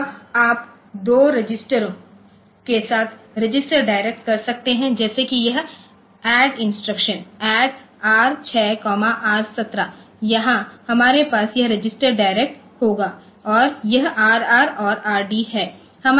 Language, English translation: Hindi, Now, you can have register direct with two registers like this add instruction add R 6 comma R 17 here we will have this register direct and this R r and R d